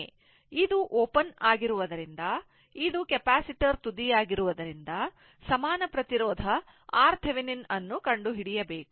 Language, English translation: Kannada, So, as this is open, as this is this is the capacitor terminal, we have to find out the equivalent resistance Thevenin team